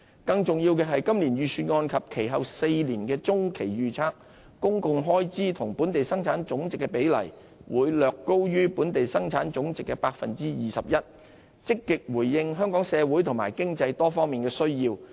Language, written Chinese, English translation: Cantonese, 更重要的是，今年預算案及其後4年的中期預測，公共開支與本地生產總值的比例會略高於本地生產總值的 21%， 積極回應香港社會和經濟多方面的需要。, More importantly in responding proactively to the various needs of society and the economy the public expenditure will be slightly higher than 21 % of our Gross Domestic Product in this years Budget and in the Medium Range Forecast for the next four years